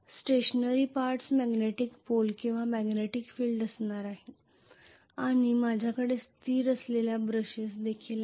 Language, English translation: Marathi, The stationary parts are going to be the poles or magnetics poles or magnetic field and I am also going to have the brushes which are stationary